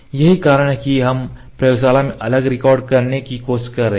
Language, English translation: Hindi, That is why we are tryting to record separately in the laboratory